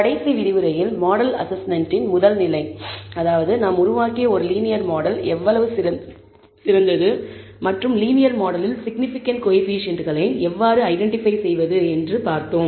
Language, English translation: Tamil, In the last lecture, we looked at the first level of model assessment, we saw how good is a linear model that we built and we also saw, how to identify the significant coefficients in the linear model